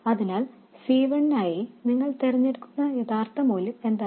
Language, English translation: Malayalam, So, what is the actual value that you choose for C1